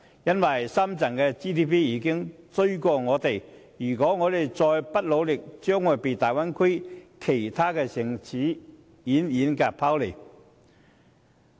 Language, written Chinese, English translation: Cantonese, 須知道深圳的本地生產總值已超越我們，如果香港再不努力，將會被大灣區其他城市遠遠拋離。, We must bear in mind that GDP of Shenzhen has already surpassed ours . If Hong Kong still does not make more efforts it will lag way behind other cities in the Bay Area